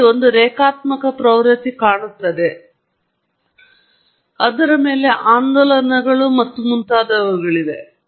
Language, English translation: Kannada, There’s a linear trend, and then, on top of it there were oscillations and so on